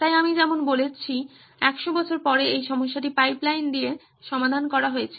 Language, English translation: Bengali, So as I have saying a 100 years later this problem was solved with pipelines